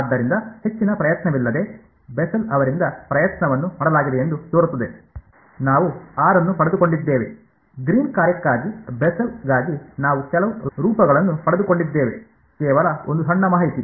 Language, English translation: Kannada, So, it seems that without too much effort because, the effort was done by Bessel, we have got r we have got some form for the Bessel’s for the Green’s function, just one small piece of information